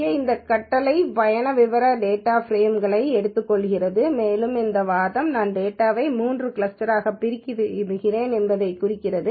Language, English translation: Tamil, This command here takes this data frame trip details and this argument here specifies I want to divide the data into three clusters